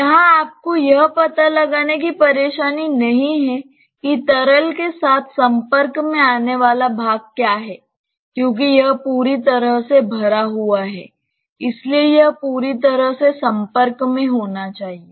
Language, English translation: Hindi, Here, you do not have the botheration of finding out what is the portion that is exposed with the liquid because since it is completely filled, it should be completely exposed